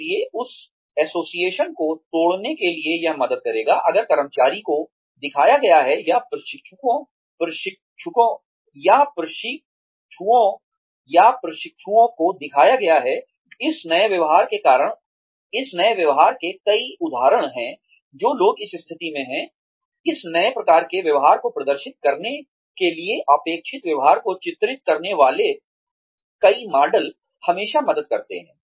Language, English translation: Hindi, So, in order to break that association, it will help, if the employee is shown, or the trainee is shown, several instances of this new behavior, by people, who are in a position, to exhibit this new type of behavior